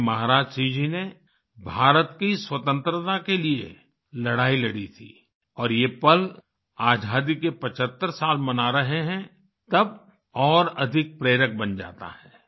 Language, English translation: Hindi, Bhai Maharaj Singh ji fought for the independence of India and this moment becomes more inspiring when we are celebrating 75 years of independence